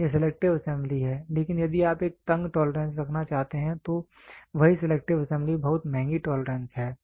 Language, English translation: Hindi, So, this is selective assembly, but if you want to have a tighter tolerance the same selective assembly is very expensive tolerance